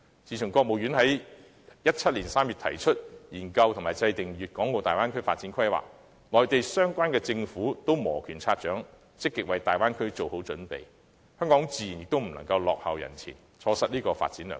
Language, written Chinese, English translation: Cantonese, 自國務院在2017年3月提出研究和制訂粵港澳大灣區發展規劃，內地各相關政府均已摩拳擦掌，積極為大灣區做好準備，香港自然也不能落後於人，錯失這個發展良機。, Since the State Council proposed to study and draw up the development plan for the Bay Area in March 2017 all relevant governments in the Mainland have been gearing up to get ready for the Bay Area development . Naturally Hong Kong do not want to fall behind others and miss such a great opportunity for development